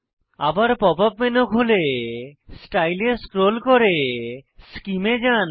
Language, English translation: Bengali, Open the pop up menu again and scroll down to Style, then Scheme